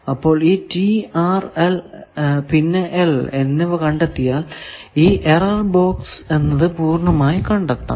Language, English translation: Malayalam, So, if we know the T R and L matrix then we can find this error box completely that will show now